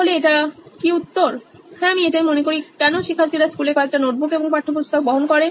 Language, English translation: Bengali, So is this the answer yes I think so, why do students carry several notebooks and textbooks to school